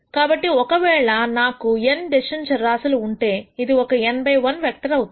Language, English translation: Telugu, So, this will be an n by 1 vector if I have n decision variables